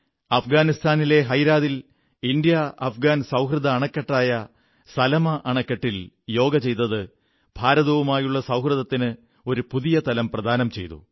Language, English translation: Malayalam, In Herat, in Afghanistan, on the India Afghan Friendship Dam, Salma Dam, Yoga added a new aspect to India's friendship